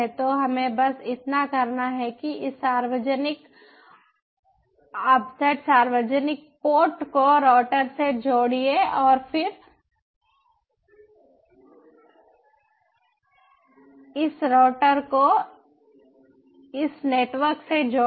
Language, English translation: Hindi, so all we need to do is connect this ah public offset, public port to the router and then connect this router to the, this ah network